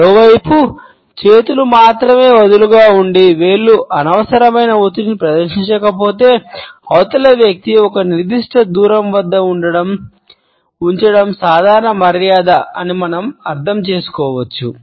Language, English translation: Telugu, On the other hand if the hands are only loosely clenched and fingers do not display any unnecessary pressure, we can understand that it is either a restraint or a common courtesy to keep the other person at a certain distance